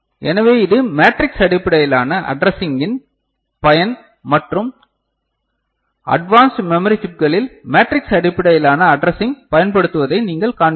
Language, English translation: Tamil, So, this is the usefulness of matrix based addressing and most of the you know, advanced to memory chips you know, you will see that it is using matrix based addressing